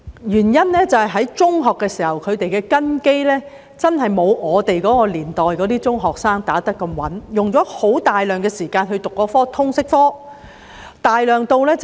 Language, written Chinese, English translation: Cantonese, 原因是在中學時，學生的根基真的沒有我們那年代的中學生打得這麼穩，用了大量時間修讀通識科。, The reason is that in secondary schools students really do not have foundations as solid as those of the secondary school students of our time and have to spend a lot of time studying Liberal Studies